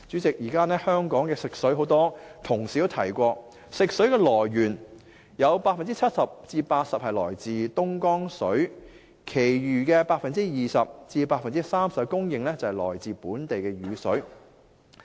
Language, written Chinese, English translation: Cantonese, 代理主席，很多同事都提過，現時香港食水的來源有 70% 至 80% 來自東江水，其餘 20% 至 30% 供應來自本地雨水。, Deputy President as mentioned by many Honourable colleagues 70 % to 80 % of drinking water in Hong Kong is sourced from Dongjiang currently while the remaining 20 % to 30 % of water supply comes from rainwater in Hong Kong